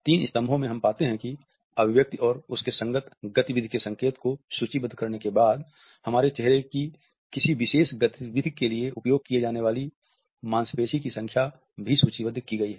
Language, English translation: Hindi, In the three columns, we find that after having listed the expression and the motion cues, the number of muscles which have been used for producing a particular motion on our face are also listed